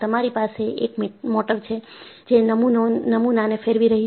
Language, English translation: Gujarati, And, you have a motor, which is rotating the specimen